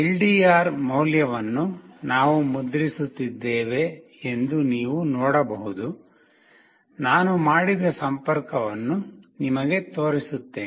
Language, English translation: Kannada, This is where you can see that we are printing the value of LDR, I will show you the connection that I have made